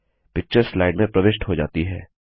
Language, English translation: Hindi, The picture gets inserted into the slide